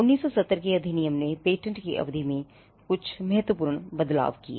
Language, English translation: Hindi, The 1970 act also made some substantial teen changes on the term of the patent